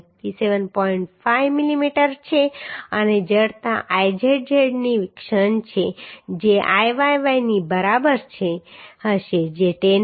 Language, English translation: Gujarati, 5 millimetre and moment of inertia Izz which will be equal to Iyy that is also given as 104